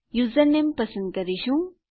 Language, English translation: Gujarati, We will choose a username